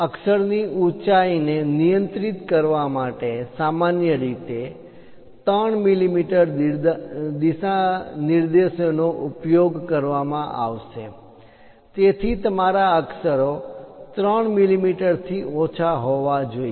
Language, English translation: Gujarati, To regulate lettering height, commonly 3 millimeter guidelines will be used; so your letters supposed to be lower than 3 millimeters